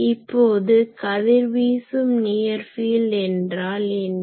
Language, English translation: Tamil, Now, what is radiating near field